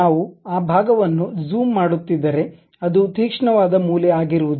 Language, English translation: Kannada, Then if we are zooming that portion it will not be any more a sharp corner